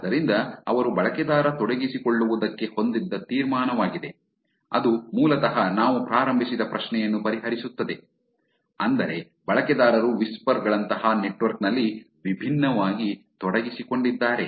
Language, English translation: Kannada, So, that is the conclusion that they had in the user engagement, that is basically kind of addresses the question that we started off with, which is do user's engaged differently in a network like whisper